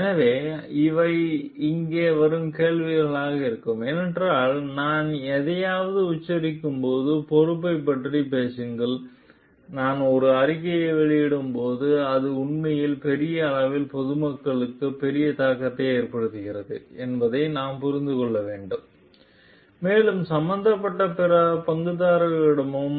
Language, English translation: Tamil, So, these will be the questions that will be coming over here, because that talks of the responsibility at when I am uttering something, when I am making a statement we have to understand it really has a great impact on the public at large, and also on the like other stakeholders involved